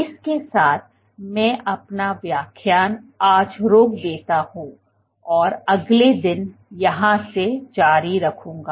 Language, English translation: Hindi, With that I stop my lecture today and I will continue from here the next day